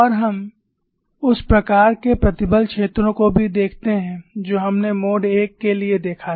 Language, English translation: Hindi, And we also look at the kind of stress fields that we saw for the mode 1